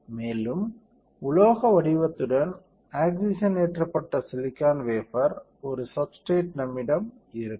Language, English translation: Tamil, And what will I have I will have a substrate which is oxidized silicon wafer with metal pattern right